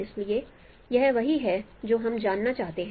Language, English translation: Hindi, So that is what we would like to find out